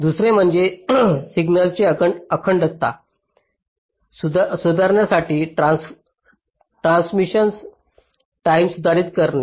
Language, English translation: Marathi, second is modifying transition times to improve the signal integrity